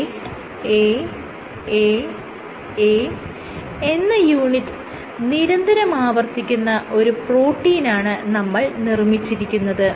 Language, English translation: Malayalam, Let us see you have made a protein which has this unit repeating A A A A so on and so forth